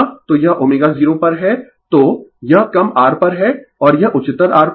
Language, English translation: Hindi, So, this is at omega 0 so, this is at low R and this is at higher R